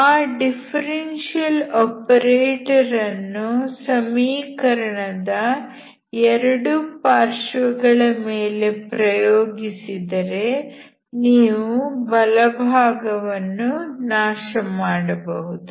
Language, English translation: Kannada, So if you apply that differential operator on both sides, you can make the right hand side is zero